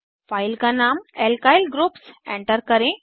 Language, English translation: Hindi, Enter the file name as Alkyl Groups